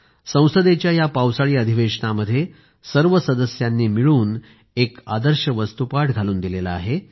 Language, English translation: Marathi, In the Monsoon session, this time, everyone jointly presented an ideal approach